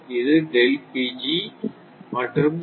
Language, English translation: Tamil, This, we know